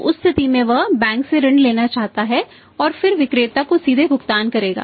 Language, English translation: Hindi, So, in that case he would like to borrow from the bank and then pay directly to the seller